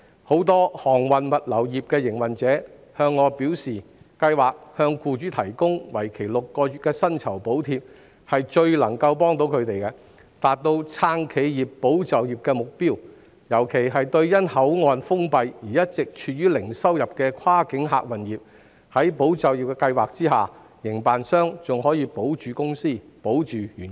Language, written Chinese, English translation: Cantonese, 很多航運物流業的營運者向我表示，該計劃向僱主提供為期6個月的薪酬補貼，是最能夠幫助到他們，並達到"撐企業、保就業"的目標，尤其是因口岸封閉而一直處於零收入的跨境客運業，在"保就業"計劃下，營辦商仍可保着公司和員工。, Many operators in the shipping and logistics industries have relayed to me that the six - month wage subsidy provided for employers under ESS has been the greatest help to them and met the objectives of supporting enterprises and safeguarding jobs . In particular cross - boundary passenger service operators who have had zero income due to closure of boundary control points can still keep their companies alive and preserve the jobs of their employees with the aid of ESS